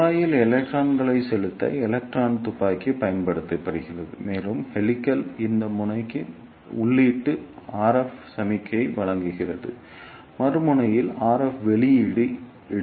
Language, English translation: Tamil, So, electron gun is used to inject electrons in the tube and input RF signal is given to this end of the helix and at the other end RF output is taken out